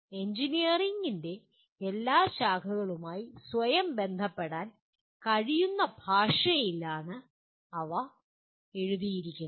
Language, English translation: Malayalam, They are written in a language that every branch of engineering can relate itself to